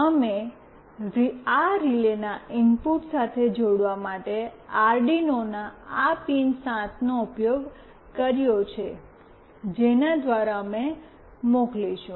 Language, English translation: Gujarati, We have used this PIN7 of Arduino for connecting with the input of this relay through which we will be sending